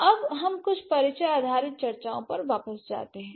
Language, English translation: Hindi, So now since now let's go back to some introduction based discussions